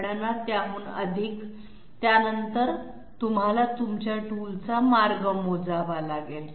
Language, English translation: Marathi, Over and above that, after that you have to calculate you know the path of the tool